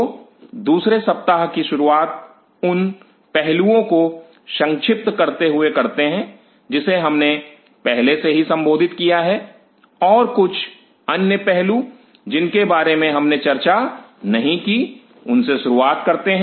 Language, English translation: Hindi, So, let us resume the second week by kind of summarizing the aspect what we have already dealt and couple of other aspect which we have not talked about to start off with